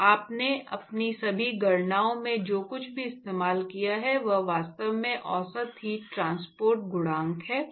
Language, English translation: Hindi, So, all along what you have used in all your calculations etcetera is actually the average heat transport coefficient